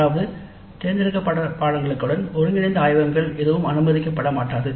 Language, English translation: Tamil, That means no integrated laboratories will be allowed with elective courses